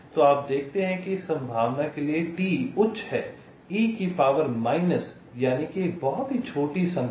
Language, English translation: Hindi, so you see, as the t is high, for this probability means two to the power minus a very small number